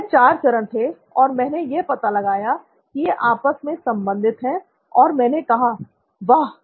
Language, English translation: Hindi, So, these are the four stages, and I found out they were correlated and I said, “Wow